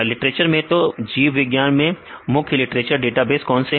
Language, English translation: Hindi, In the literature database right, so, what is the major literature database for the biology